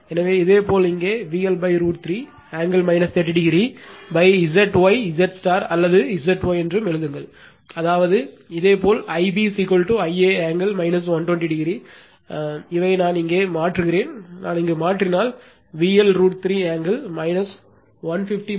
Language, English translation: Tamil, So, similarly here also you write V L by root 3, angle minus 30 upon Z y right Z star or Z y, that means, similarly your I b is equal to I a angle minus 120, these I you substitute here, this I you substitute here you will get V L root 3 angle minus 150 by Z y